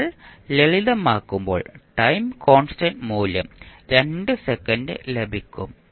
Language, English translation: Malayalam, When you simplify you get the value of time constant that is 2 second